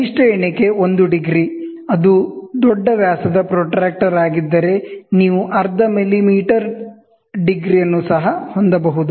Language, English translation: Kannada, You have the least count can be 1 degree, if it is a large diameter protractor, you can even have close to half millimeter half a degree